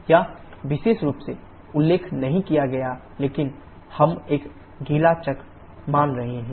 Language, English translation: Hindi, It is not mentioned specifically but we are assuming a wet cycle